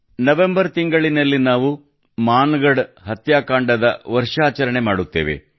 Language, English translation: Kannada, In the month of November we solemnly observe the anniversary of the Mangadh massacre